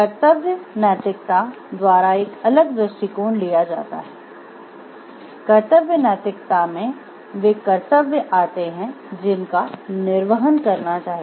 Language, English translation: Hindi, A different approach is taken by the duty ethics duty ethics contains that there are duties that should be performed